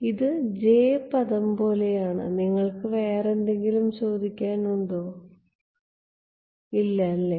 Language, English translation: Malayalam, This is like the j term you have a question no yeah